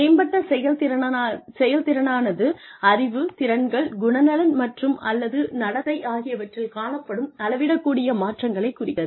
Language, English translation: Tamil, Improved performance implies that, there may have been measurable changes in, knowledge, skills, attitudes, and or behavior